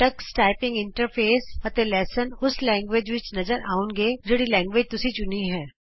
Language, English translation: Punjabi, The Tux Typing Interface and lessons will be displayed in the language you select